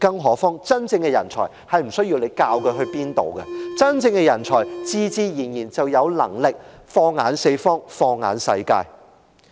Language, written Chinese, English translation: Cantonese, 何況，真正的人才並不需要政府教他往哪處去，真正的人才自然有能力放眼四方、放眼世界。, As a matter of fact genuine talents do not need any government advice on their whereabouts . Genuine talents would surely aim further and set their eyes on the whole world